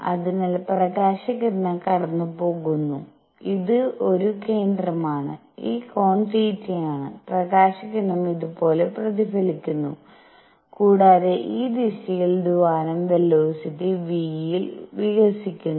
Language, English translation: Malayalam, So, there is the light ray which is going this is a centre, this angle is theta, the light ray gets reflected like this and the cavity is expanding in this direction with velocity v